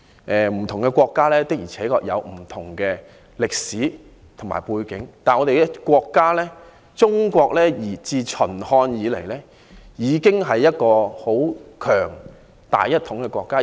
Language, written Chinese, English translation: Cantonese, 不同國家的確有不同的歷史和背景，但我們的國家中國自秦漢以來，已經是一個很強、大一統的國家。, Different countries indeed have different history and backgrounds but our country China has been a strong and unified country since the Qin and Han dynasties